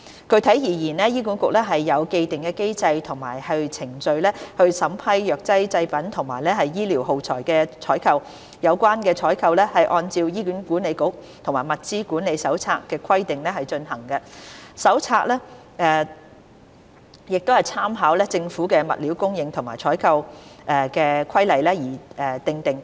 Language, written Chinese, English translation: Cantonese, 具體而言，醫管局有既定機制及程序審批藥劑製品及醫療耗材的採購。有關採購是按照《醫管局採購及物料管理手冊》的規定進行，手冊參考政府的《物料供應及採購規例》而訂定。, Specifically the procurement of pharmaceutical products and medical consumables is governed by the mechanisms and procedures set out in the Hospital Authority Procurement and Materials Management Manual which was formulated with reference to the Stores and Procurement Regulations of the Government